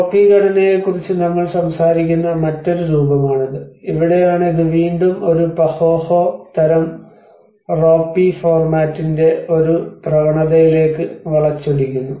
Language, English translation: Malayalam, \ \ \ This is another form we talk about the ropy structure, so that is where this is again a Pahoehoe sort of thing which actually twist into a trend of ropy format